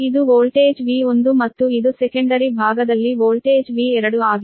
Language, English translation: Kannada, this is voltage v one and this is voltage v two, on the secondary side, right